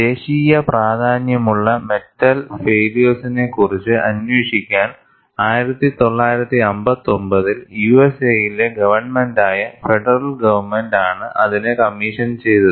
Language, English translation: Malayalam, It was commissioned by the federal government, that is the government in USA, in 1959, to investigate a series of metal failures of national significance